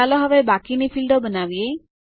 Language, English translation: Gujarati, Let us create the rest of the fields now